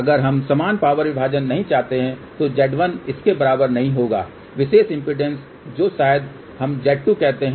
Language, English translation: Hindi, If we do not want equal power division then Z1 will not be equal to this particular impedance which maybe let us says Z 2